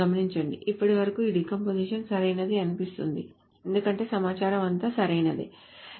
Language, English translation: Telugu, Not that up to this point it seems that this decomposition is correct because the information are all correct